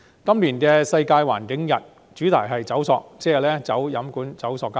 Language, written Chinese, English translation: Cantonese, 今年"世界環境日"的主題是"走塑"，即是棄用飲管、棄用塑膠。, This year the theme for the World Environment Day is Beat Plastic Pollution entailing phasing out straws and plastic tableware